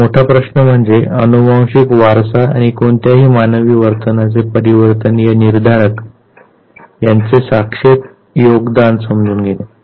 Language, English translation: Marathi, Now, the big question is to understand the relative contribution of genetic inheritance and environmental determinants of any human behavior